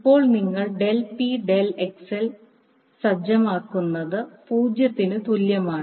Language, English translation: Malayalam, Now if you, when you set del P by del XL is equal to 0